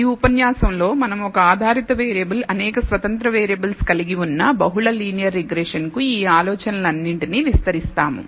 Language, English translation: Telugu, In this lecture we will extend all of these ideas to multiple linear regression which consists of one dependent variable, but several independent variables